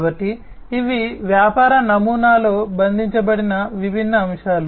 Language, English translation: Telugu, So, these are the different aspects that are captured in a business model